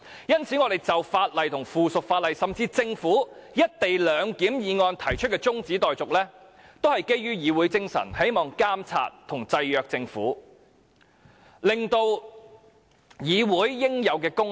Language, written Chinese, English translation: Cantonese, 因此，我們就法案及附屬法例，甚至政府動議的"一地兩檢"議案動議中止待續議案，都是基於議會精神，希望監察及制約政府，彰顯議會應有功能。, Hence when we moved an adjournment motion regarding a bill or subsidiary legislation or even the Governments motion on the co - location arrangement we acted in accordance with the spirit of this Council in the hope of monitoring the Government and keeping it in check so as to manifest the due functions of the Council